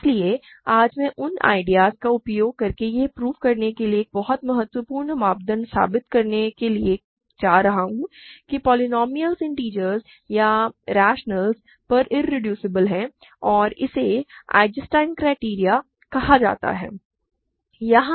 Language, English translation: Hindi, So, today I am going to use those ideas to prove a very important criterion for verifying that polynomials are irreducible over integers or rationals, and it is called Eisenstein Criterion, ok